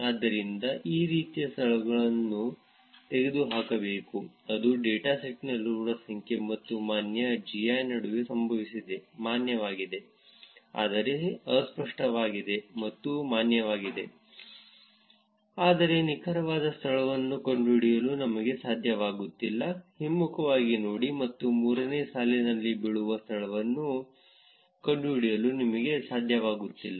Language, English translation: Kannada, So, these kind of locations has to be removed that is what happened between number in the dataset and valid GI; valid, but ambiguous which is it is valid, but we are not able to figure out the exact location, reverse look up, and find out the location that falls into the third row